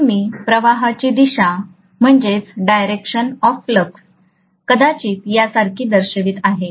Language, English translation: Marathi, So I am going to show the direction of the flux probably somewhat like this, okay